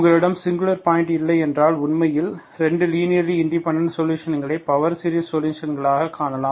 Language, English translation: Tamil, If you do not have singular points, you can actually find 2 linearly independent solutions as power series solutions